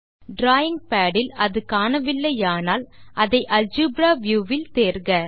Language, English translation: Tamil, If it is not visible from the drawing pad please select it from the algebra view